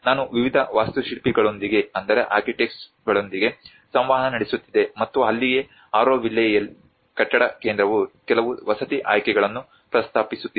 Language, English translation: Kannada, I was interacting with various architects and that is where the Auroville building centre is proposing up some housing options